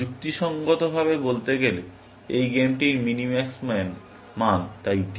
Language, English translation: Bengali, Rationally speaking, and the minimax value of the game is therefore, D